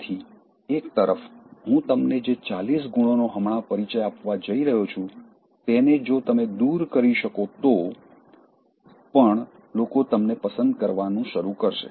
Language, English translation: Gujarati, So, on the one hand, even if you are able to eliminate all these forty hateful traits that I am going to identify for you just now, then, also people will start liking you